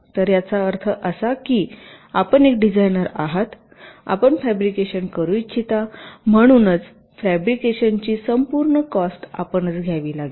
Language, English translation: Marathi, so means you are a designer, you want to fabricate, so the entire cost of fabrication have to be borne by you